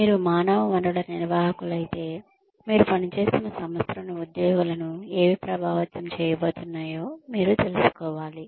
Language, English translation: Telugu, If you become a human resources manager, you should know, what is going to affect the employees in the organization, that you are working in